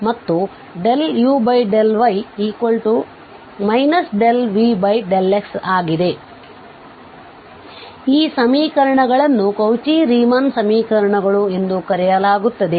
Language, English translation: Kannada, So, these equations are called the Cauchy Riemann equations